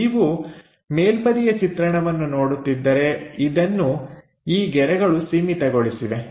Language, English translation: Kannada, If you are looking top view, these lines are bounded